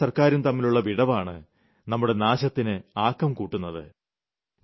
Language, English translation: Malayalam, The chasm between the governments and the people leads to ruin